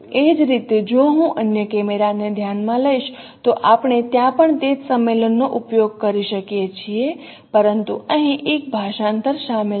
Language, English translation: Gujarati, Similarly if I consider the the other camera there also we can use the same convention but since there is a translation involved here